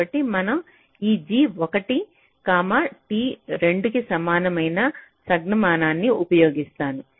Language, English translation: Telugu, so we use a notation like this: g one comma, t equal to two